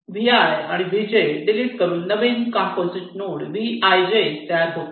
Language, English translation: Marathi, you delete vi and vj and replace it by one node, vij